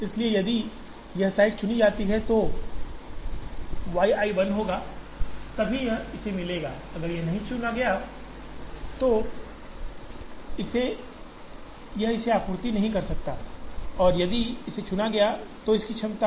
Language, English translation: Hindi, So, if this site is chosen then y i will be 1, only then it will get from this, if this is not chosen this cannot supply to this and if this is chosen, this has a capacity of C i y i